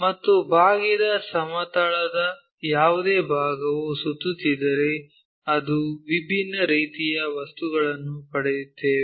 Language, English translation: Kannada, And, any part of the curve plane if we revolve it, we will get different kind of objects